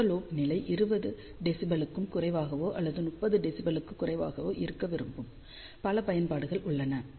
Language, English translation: Tamil, There are many applications where we would like side lobe level to be less than 20 dB or less than 30 dB